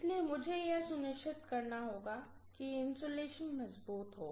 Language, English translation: Hindi, So I have to make sure that the insulation is strengthened